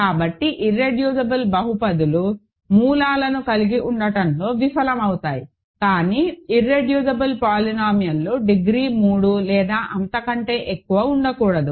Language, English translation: Telugu, So, reducible polynomials can have can fail to have roots, but irreducible polynomials cannot exist of degree 3 or more